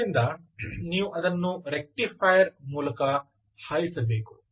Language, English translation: Kannada, so you have to pass it through a rectifier